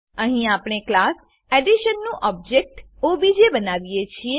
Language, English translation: Gujarati, Here we create an object obj of class Addition